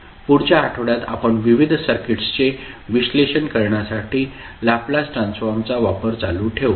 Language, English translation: Marathi, So, next week we will continue our utilization of Laplace transform in analyzing the various circuits